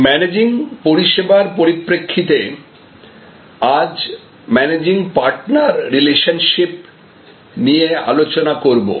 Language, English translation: Bengali, Today, from the Managing Services perspective, we will be discussing this topic about Managing Partner Relationships